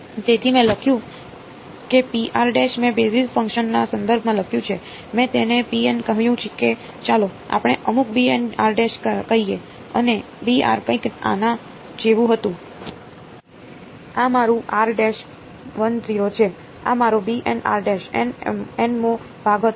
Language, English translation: Gujarati, So, I wrote of I wrote rho of r prime in terms of the basis functions right I called it let us say some rho n, b n r prime right and b n was something like this, this is my r prime 1 0 this was my b n r prime right nth segment